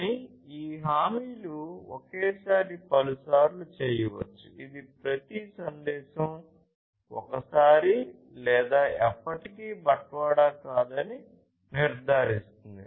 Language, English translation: Telugu, But, these guarantees may do so, multiple times at most once which is about each ensuring that each message is delivered once or never